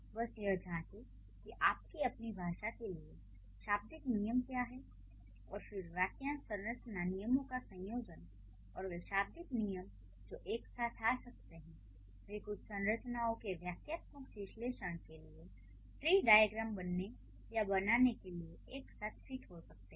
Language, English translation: Hindi, So, just check what are the lexical rules for your own language and then how the combination of the fresh structure rules and the lexical rules they can come together, they can fit together to create or to have tree diagrams for the syntactic analysis of certain structures